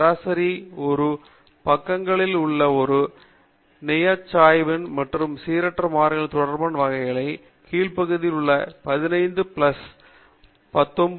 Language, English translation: Tamil, And you can see that the area under the curve corresponding to random variables lying one standard deviation among either side of the mean comes to 15 plus 19